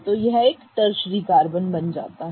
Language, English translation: Hindi, So, it becomes a primary carbon